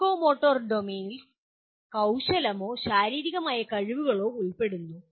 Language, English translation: Malayalam, The psychomotor domain involves with manipulative or physical skills